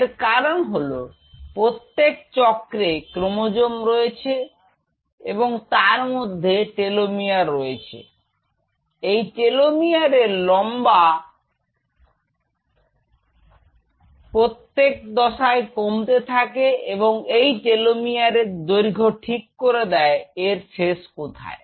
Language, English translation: Bengali, Because with every cycle there is something in it is chromosome called telomere the telomere length reduces and as a matter of fact the length of the telemeter can tell you which is part of the chromosome can tell you that what is the edge of it